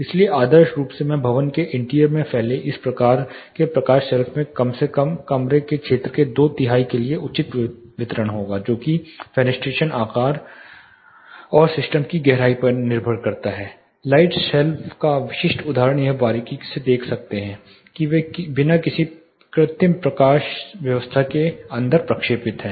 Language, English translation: Hindi, So, ideally this type of light shelf extending into the interior of the building will have a fair distribution at least for two third of the room area depends on the fenestration size and the depth of the system itself typical example of light shelves you can closely look at it they are projected inside without any artificial lighting